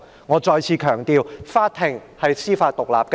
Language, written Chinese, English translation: Cantonese, 我再次強調，法庭是司法獨立的。, Let me stress again that the court is judicially independent